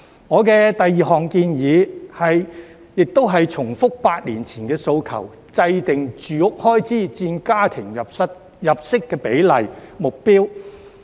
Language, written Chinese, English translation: Cantonese, 我的第二項建議，亦是重複8年前的訴求，制訂"住屋開支佔家庭入息比例"指標。, My second proposal is a repetition of my request made eight years ago for formulating a standard ratio of housing expenses to household income